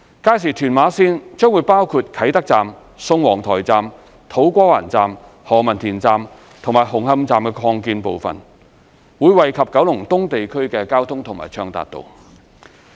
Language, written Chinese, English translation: Cantonese, 屆時屯馬綫將包括啟德站、宋皇臺站、土瓜灣站、何文田站及紅磡站擴建部分，將惠及九龍東地區的交通和暢達度。, Upon its commissioning Tuen Ma Line will include Kai Tak Station Sung Wong Toi Station To Kwa Wan Station Ho Man Tin Station and the Hung Hom Station Extension; and will enhance the transport connectivity and accessibility of Kowloon East